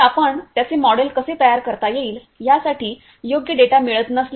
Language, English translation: Marathi, So, if you are not getting proper data for that how to model it